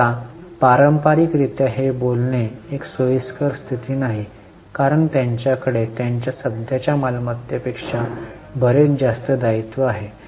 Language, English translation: Marathi, Now, traditionally speaking, this is not a comfortable position because they have much more current liabilities than their current assets